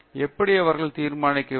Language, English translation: Tamil, How should they determinate